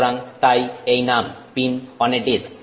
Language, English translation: Bengali, So, and hence the name pin on disk